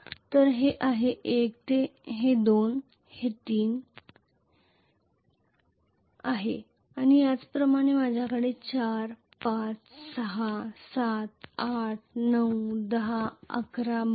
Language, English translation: Marathi, So this is 1 this is 2 this is 3 and similarly I am going to have 4, 5, 6, 7, 8, 9, 10, 11, 12